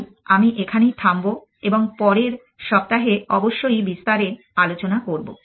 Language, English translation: Bengali, So, I will stop here and will take that of next week essentially